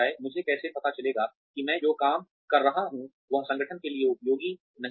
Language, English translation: Hindi, How will I know that, the work that I am doing, is not useful for the organization